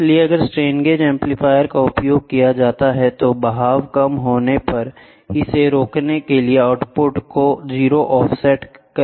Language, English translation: Hindi, So, if the strain gauge amplifier is used is used, the output may be given a 0 offset to prevent it bottoming out if there is a drift